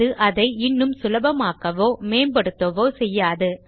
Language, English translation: Tamil, It doesnt make it work any better or any less